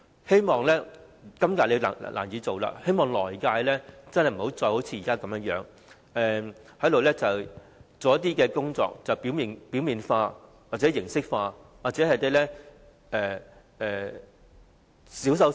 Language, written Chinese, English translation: Cantonese, 對於今次難以做到的工作，希望在下一份施政報告中，政府不會再只是提出一些表面化或形式化的措施，或是進行小修小補。, For tasks that are difficult to accomplish this year I hope in the next policy address the Government will not still just propose some superficial and formalized measures or do patchy fixes